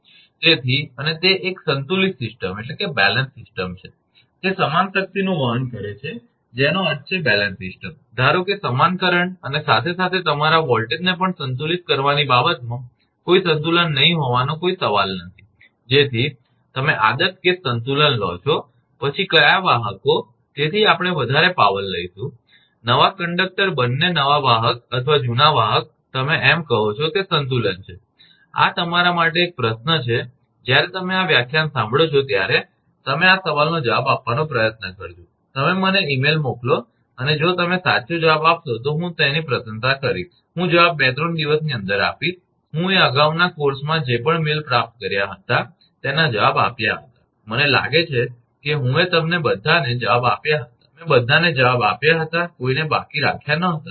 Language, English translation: Gujarati, So, and it is a balance system, it is carrying equal power I mean balance system, supposed to carry equal current as well as your voltage also balance no question of unbalancing thing you take ideal case balance, then which conductors, so we will carry more power, the new conductor both new conductors or old conductor you as say it is a balance, this is a question to you; when you listen to this lecture you try to answer this question you send me mail and if you can correctly answer I will appreciate that, I reply within 2, 3 days I reply whatever mails in the previous course I have received, I think I have answered to all of you, I did not leave anyone I gave all answers